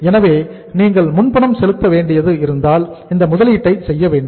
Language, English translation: Tamil, So once you have to make the pre payments so it means you will have to make this investment also